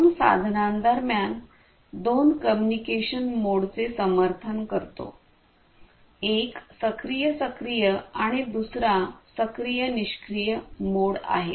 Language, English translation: Marathi, And two communication modes are supported between two devices, one is the active active and the other one is the active passive mode